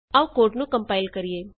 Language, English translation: Punjabi, Coming back to the code